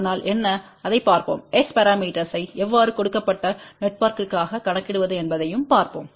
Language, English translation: Tamil, and we will also see how to calculate S parameter for a given network